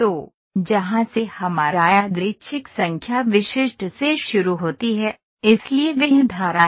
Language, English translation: Hindi, So, where does our random number starts from the specific, so that is the stream